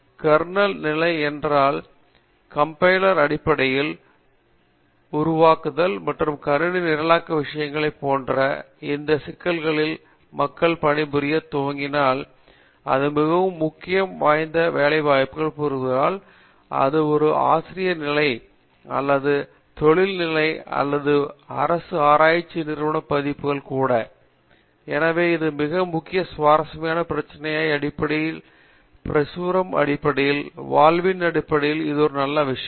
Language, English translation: Tamil, If people start working on these type issues like kernel level and the compiler basically optimizations and lot of system programming stuff, there is a lot of potential for them in terms of going into a very core research jobs be it a faculty position or an industry position or even a government research establishment versions, so that is also very, very interesting problem in terms of research, in terms of publication, in terms of livelihood everything it’s a very good thing